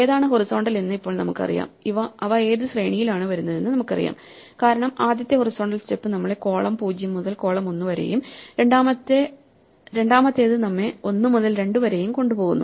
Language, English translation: Malayalam, Now once we know which ones are horizontal we know what sequence they come in because the first horizontal step takes us from column 0 to column 1, second 1 takes us from one to 2